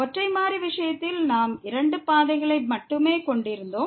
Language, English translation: Tamil, While in the case of single variable, we had only two paths